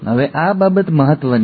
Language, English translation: Gujarati, Now this is important